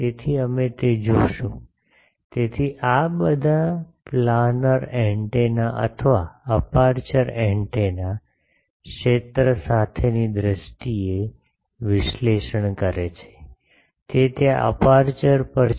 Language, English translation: Gujarati, So, we will see that, so all these planar antennas or aperture antennas, they are analyzed in terms of field with, that is there on the aperture